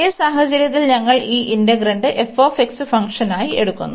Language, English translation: Malayalam, And in this case again, we take this integrand as this f x function